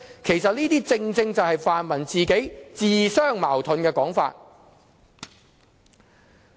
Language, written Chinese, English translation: Cantonese, 其實，這些正是泛民自相矛盾的說法。, As a matter of fact such remarks made by the pan - democrats are self - contradictory